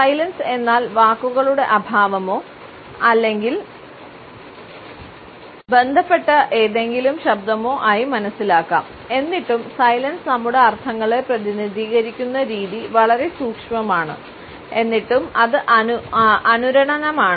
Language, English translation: Malayalam, Silence can be understood as a vocal absence of words or any associated voice yet the way the silence represents our meanings is very subtle and yet it is resonant